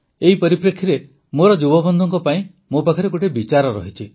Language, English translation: Odia, In view of this, I have an idea for my young friends